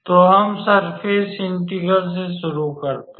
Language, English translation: Hindi, So, let us start with the surface integral